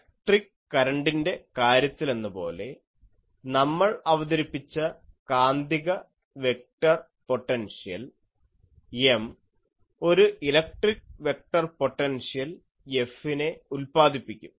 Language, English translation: Malayalam, As in case of electric current, we introduced A the magnetic vector potential in case of M, will introduce the electric vector potential F; that is why I am saying